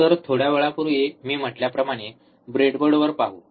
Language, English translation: Marathi, So, let us see on the breadboard like I said little bit while ago